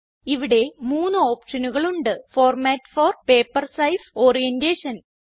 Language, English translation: Malayalam, There are 3 options here Format for, Paper size and Orientation